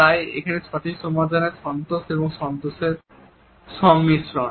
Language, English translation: Bengali, So, here the right solution is a combination of anger and content